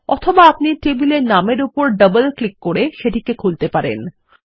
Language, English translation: Bengali, Alternately, we can also double click on the table name to open it